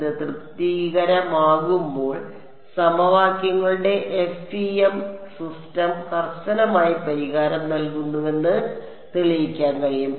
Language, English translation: Malayalam, When this is satisfied, it is possible to prove that the FEM system of equations rigorously gives the solution